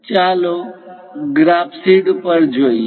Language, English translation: Gujarati, Let us look at on the graph sheet